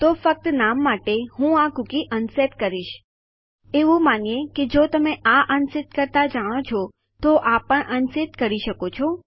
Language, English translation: Gujarati, So just to name one, Ill unset this cookie, presuming that if you learn to unset this one you can unset this one too